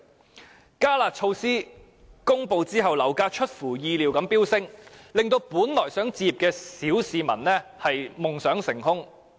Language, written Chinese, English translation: Cantonese, 在"加辣"措施公布後，樓價出乎意料地飆升，令本來想置業的小市民夢想成空。, After the announcement of the enhanced curb measure property prices unexpectedly surged crashing the petty masses dream of home ownership